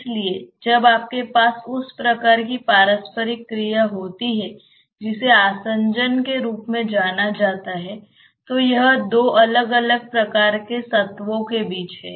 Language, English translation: Hindi, So, when you have that type of interaction that is known as adhesion, so it is between two different types of entities